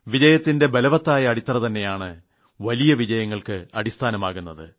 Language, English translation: Malayalam, The strong foundation of one success becomes the foundation for another greater success